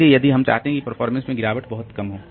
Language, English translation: Hindi, So, if we want that the performance degradation will be very small